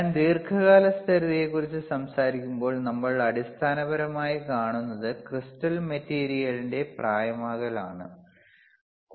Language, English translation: Malayalam, When I talk about long term stability, then what we see is, basically due to aging of crystal material